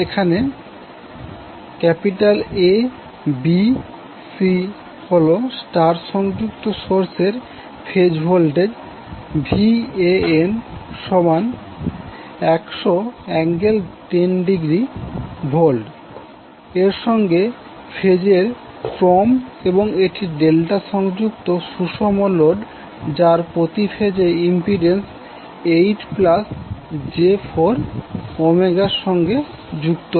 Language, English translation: Bengali, Suppose there is A, B, C phase sequence star connected source with the phase voltage Van equal to 100 angle 10 degree and it is connected to a delta connected balanced load with impedance 8 plus J 4 Ohm per phase